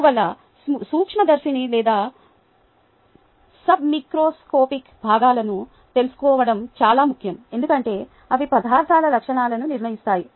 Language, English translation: Telugu, ok, therefore, it is important to know the microscopic or the submicroscopic components, because they are the determinants of the properties of materials